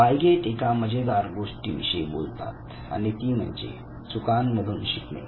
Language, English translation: Marathi, One very interesting thing that Piaget also talked about was learning out of committing errors